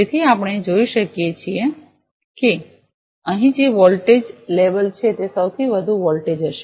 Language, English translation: Gujarati, So, we can see whatever the voltage label we are getting here it will be the highest voltage